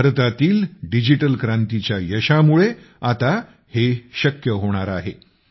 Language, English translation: Marathi, The success of the digital revolution in India has made this absolutely possible